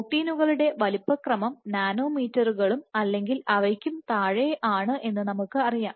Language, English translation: Malayalam, So, then it is impossible to given that proteins have sizes order of nanometers and lesser